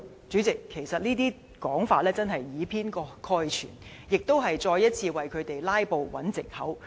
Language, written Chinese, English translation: Cantonese, 主席，其實這些說法是以偏概全，只是再一次為他們"拉布"找藉口。, President such arguments are all biased merely another excuse for filibustering